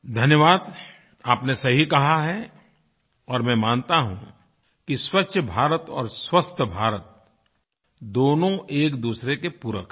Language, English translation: Hindi, Thanks, you have rightly said it and I believe that Swachch Bharat and Swasth Bharat are supplementary to each other